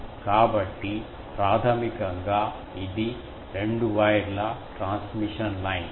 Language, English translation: Telugu, So, basically it was a two wire transmission line